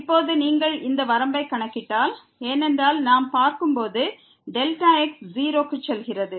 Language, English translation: Tamil, Now, if you compute this limit because as we see delta goes to 0